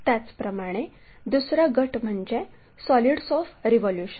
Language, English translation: Marathi, Similarly, there is another set called solids of revolution